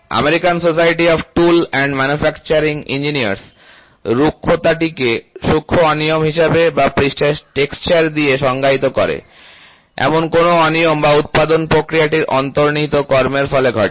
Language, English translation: Bengali, American society of tool and manufacturing engineers defines roughness as a finer irregularities or in the surface texture, including those irregularities that results from an inherent action of a production process, ok